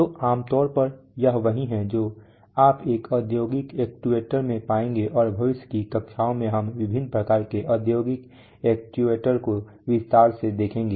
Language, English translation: Hindi, So typically this is what you will find in an industrial actuator and within in the future classes we look at various kinds of industrial actuators in detail